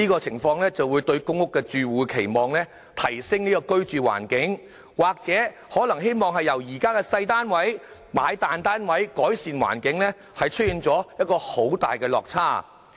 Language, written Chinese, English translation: Cantonese, 由於公屋住戶期望提升居住環境，希望由現時的細單位轉買大單位，我估計這與他們的期望出現很大落差。, Since PRH tenants expect to improve their living environment by moving from their current small units to larger flats purchased by them I suspect that there will be a great discrepancy between their expectation and the reality